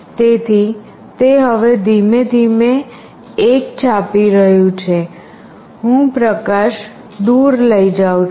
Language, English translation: Gujarati, So, it is printing 1 now slowly, I will take away the light